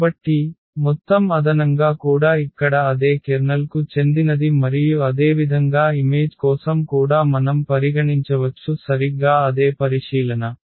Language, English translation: Telugu, So, the sum is addition will be also belong to the same kernel here and similarly for the image also we can consider exactly the exactly the same consideration